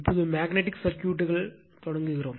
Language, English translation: Tamil, Now, we will start Magnetic Circuits right